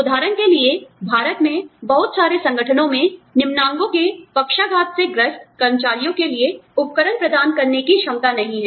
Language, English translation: Hindi, For example, in India, not too many organizations, have the ability to provide, equipment for paraplegic employees, for example